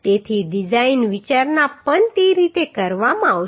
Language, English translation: Gujarati, So the design consideration also will be done in that way